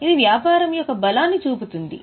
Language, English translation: Telugu, This shows the strength of business